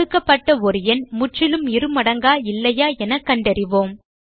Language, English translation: Tamil, Given a number, we shall find out if it is a perfect square or not